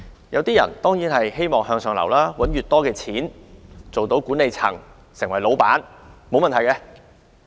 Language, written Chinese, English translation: Cantonese, 有些人希望向上流，賺取很多的金錢，成為管理層或老闆，這是沒有問題的。, Some people want to move upward earn a lot of money and become managers or bosses . There is nothing wrong with these aspirations